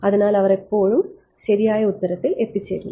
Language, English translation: Malayalam, So, they always reach the correct answer